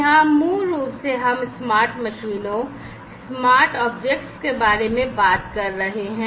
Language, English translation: Hindi, So, here basically we are talking about smart machines, smart objects and so on